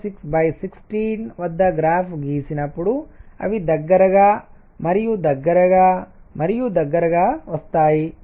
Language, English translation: Telugu, 6 by 16 and so, they come closer and closer and closer